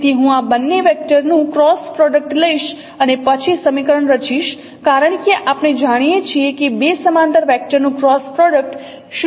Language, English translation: Gujarati, So if I take the cross product of these two vectors and then form the equation because we know the cross product of two parallel vector is a zero vector